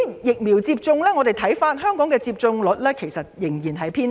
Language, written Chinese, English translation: Cantonese, 疫苗接種方面，香港的接種率仍然偏低。, Regarding the vaccination rate Hong Kong is still on the low side